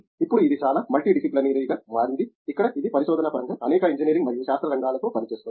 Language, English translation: Telugu, Now, it became highly multidisciplinary where it’s been working with several fields of engineering and sciences in terms of research